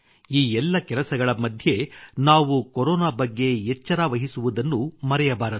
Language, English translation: Kannada, In the midst of all these, we should not lower our guard against Corona